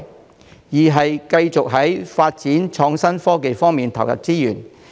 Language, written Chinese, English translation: Cantonese, 第二，繼續在發展創新科技方面投入資源。, Second we must continue to invest resources in the development of innovation and technology